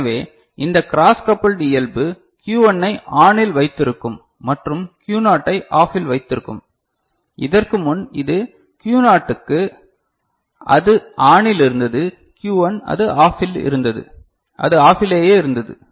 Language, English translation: Tamil, So, this cross coupled nature will keep Q1 at ON and Q naught at OFF the it was happening before for Q naught which was on was remaining ON and Q1 which was OFF was remaining OFF ok